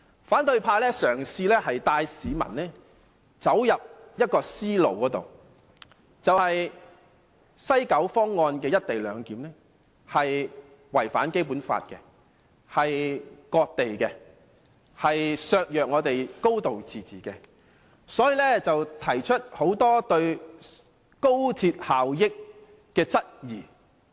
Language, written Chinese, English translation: Cantonese, 反對派嘗試帶市民走進一種思路，視西九方案的"一地兩檢"違反《基本法》，等同割地，削弱我們的"高度自治"，反對派因此提出很多對高鐵效益的質疑。, The opposition camp has been attempting to draw the public into their line of thoughts so that they will regard the co - location arrangement proposed under the West Kowloon Project a proposal that has violated the Basic Law and is tantamount to selling out Hong Kongs territory while undermining its high degree of autonomy . Therefore the opposition camp raised a lot of queries about the effectiveness of the XRL